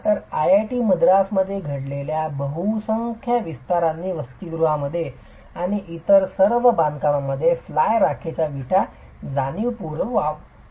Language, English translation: Marathi, So, vast majority of the expansions that have happened in IATI madras have consciously used fly ash bricks in the hostels and in all other constructions